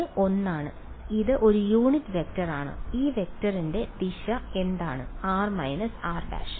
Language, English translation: Malayalam, It is one; it is a unit vector right and what is the direction of this vector